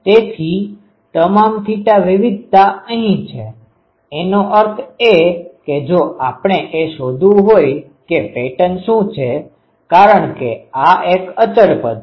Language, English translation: Gujarati, So, so all the theta variation is here; that means, if we want to find what is the pattern, because this is a constant term